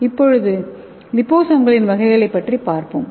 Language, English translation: Tamil, So let us see the types of liposomes